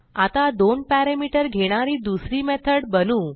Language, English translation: Marathi, Let us create another method which takes two parameter